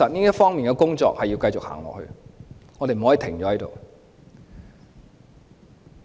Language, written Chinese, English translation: Cantonese, 這方面的工作確實要繼續做，我們不可以停步。, We must continue with our work in this respect and should not stop